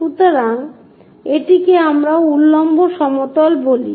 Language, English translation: Bengali, So, this is what we call vertical plane